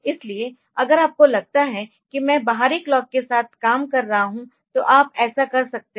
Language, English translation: Hindi, So, if you think that I will be working with an external clock so, you can do that